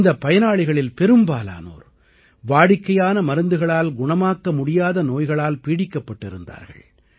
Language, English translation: Tamil, And most of these beneficiaries were suffering from diseases which could not be treated with standard medicines